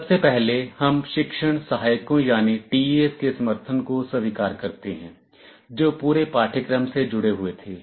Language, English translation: Hindi, Firstly, we acknowledge the support of the teaching assistants , who were associated with the course throughout